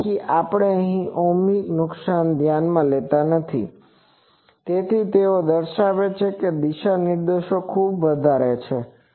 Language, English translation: Gujarati, Since, we are not taking any losses into account ohmic losses into account in this, so they show that the directivity is very high